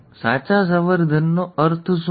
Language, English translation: Gujarati, What does true breeding mean